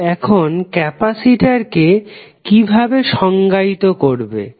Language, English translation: Bengali, So, how you will define capacitance now